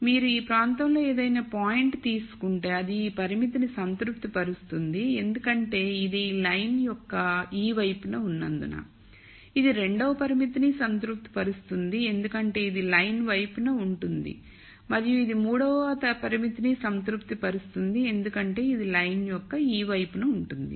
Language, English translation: Telugu, So, if you take a point any point in this region it will be satisfying this constraint because it is to this side of this line, it will satisfy the second constraint because it is to the side of the line and it will satisfy the third constraint because it is to this side of the line